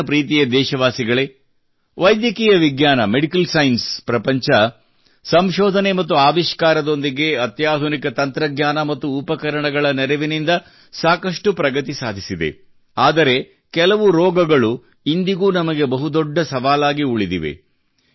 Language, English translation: Kannada, My dear countrymen, the world of medical science has made a lot of progress with the help of research and innovation as well as stateoftheart technology and equipment, but some diseases, even today, remain a big challenge for us